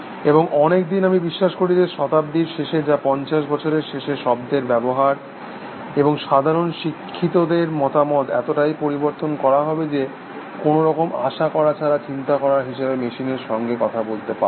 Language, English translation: Bengali, And many says, that I believe that the end of the century, which is at the end of fifty years, use of words and general educated opinion will be altered so much, that one will be able to speak of machines thinking without expecting, to be contradicted